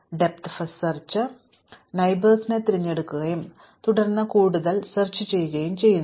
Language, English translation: Malayalam, Depth first search will pick the first neighbor, and then explore it further